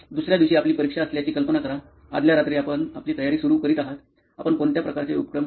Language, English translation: Marathi, Imagine you have an exam the next day, the previous night you are starting your preparation, what all kind of activities that you do